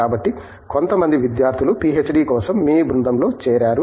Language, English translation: Telugu, So, some students joinÕs here for or joinÕs your group for PhD